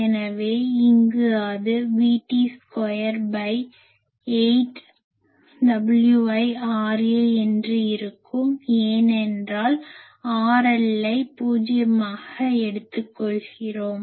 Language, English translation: Tamil, So, here if I put so it will be V T square by 8, W i R a, because I am taking R L is equal to zero